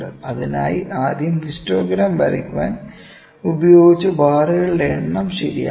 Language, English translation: Malayalam, Then we need to fix the number of bars, that we that we used to draw the histogram